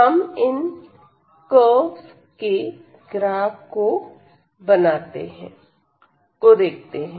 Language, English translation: Hindi, So, let us look at the graphs of all these curves